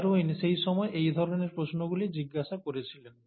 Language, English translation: Bengali, These are the kind of questions that Darwin was asking at that point of time